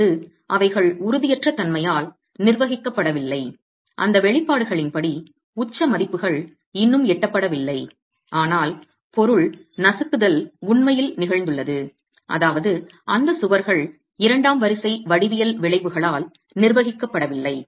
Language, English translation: Tamil, The peak values according to those expressions have not been reached yet but the material crushing has actually occurred which means those walls are not being governed by second order geometrical effects